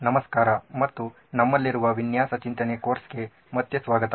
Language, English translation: Kannada, Hello and welcome back to the design thinking course that we have